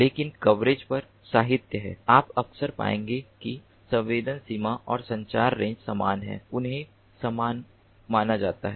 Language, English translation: Hindi, but in literature on coverage you will often find that the sensing range and the communication range are equated